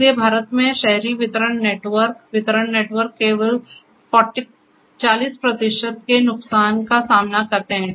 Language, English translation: Hindi, So, in India the urban distribution network, distribution networks only faces losses of the order of say 40 percent